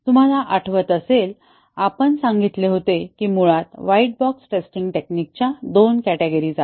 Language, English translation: Marathi, If you remember we had said that there are basically two categories of white box testing techniques